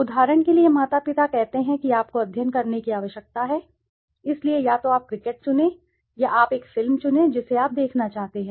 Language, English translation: Hindi, For example the parent says you need to study so either you choose cricket or you choose a movie, which one would you like to see